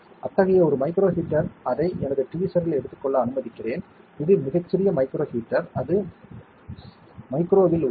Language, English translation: Tamil, One such micro heater let me take it in my tweezer, it is very small micro heater, it is literally in the micro